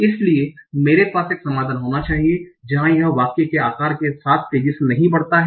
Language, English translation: Hindi, So I need to have a solution where it does not grow exponentially with the size of the sentence